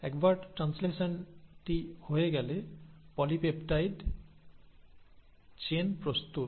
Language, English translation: Bengali, So once the translation has happened, polypeptide chain is ready